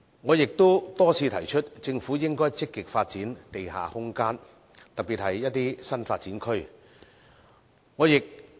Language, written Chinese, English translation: Cantonese, 我也多次提出，政府應該積極發展地下空間，特別是一些新發展區。, I have indicated time and again that the Government should actively develop underground spaces particularly in some new development areas